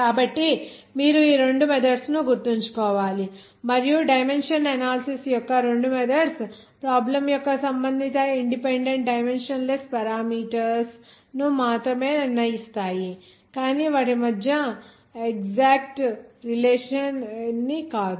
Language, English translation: Telugu, So you have to remember these two methods and both the methods of dimension analysis determine only the relevant independent dimensionless parameters of a problem but not the exact relation between them